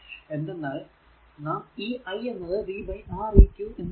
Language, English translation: Malayalam, So, that is what I told v is equal to i into Req